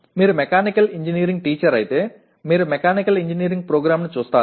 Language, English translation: Telugu, If you are a Mechanical Engineering teacher you look at a Mechanical Engineering program as such